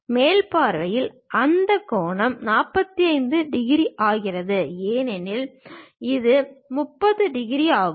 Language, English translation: Tamil, In the top view, it makes that angle 45 degrees; because this one is 30 degrees